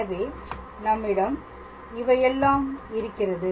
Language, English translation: Tamil, So, we will have this thing here